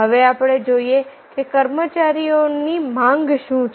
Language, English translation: Gujarati, what are the demand of the employees